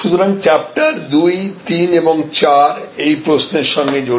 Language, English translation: Bengali, So, chapter 2, 3 and 4 will be also then related to these questions